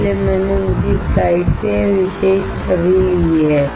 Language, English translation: Hindi, So, I have taken this particular image from his slide